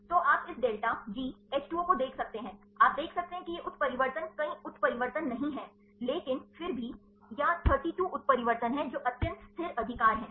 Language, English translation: Hindi, So, you can see this delta G H 2 O, you can see these are the mutation not many mutations, but still or 32 mutations which are have extremely stable right